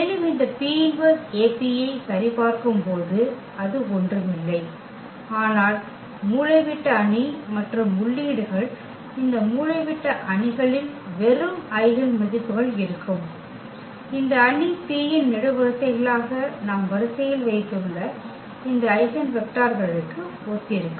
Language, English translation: Tamil, And when we check this P inverse AP that will be nothing, but the diagonal matrix and entries of these diagonal matrix will be just the eigenvalues, corresponding to these eigenvectors we have placed in the sequence as columns of this matrix P